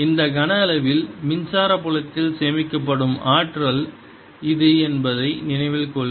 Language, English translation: Tamil, recall that this is the energy stored in the electric field in this volume